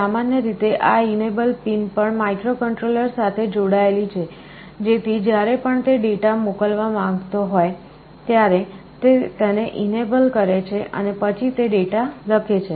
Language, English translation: Gujarati, Typically this enable pin is also connected to the microcontroller, so that whenever it wants to send the data, it enables it and then it writes the data